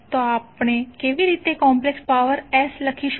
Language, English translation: Gujarati, So how we will write complex power S